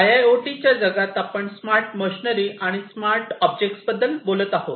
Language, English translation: Marathi, So, in the IIoT world we are talking about smart machinery, smart objects, smart physical machinery